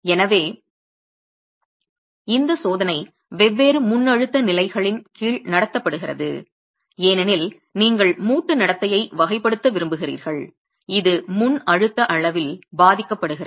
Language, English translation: Tamil, So this test is conducted under different pre compression levels because you want to characterize the behavior of the joint